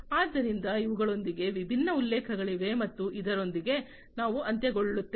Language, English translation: Kannada, So, with these are the different references and with this we come to an end